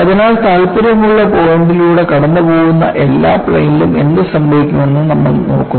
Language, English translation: Malayalam, So, you look at what happens on all the planes that passes through the point of interest